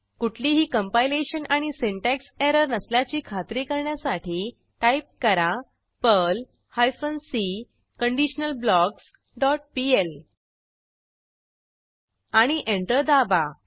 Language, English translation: Marathi, Type the following to check for any compilation or syntax error perl hyphen c conditionalBlocks dot pl and press Enter